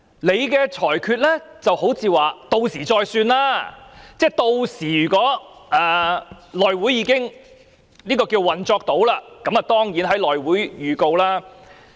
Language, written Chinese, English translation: Cantonese, 主席的裁決好像說"屆時再算"，即如果屆時內務委員會已能運作，當然便會在內會作出預告。, Presidents ruling seems to be saying Leave it until the time comes . That is to say if the House Committee resumes normal operation by then a notice will of course be given to the House Committee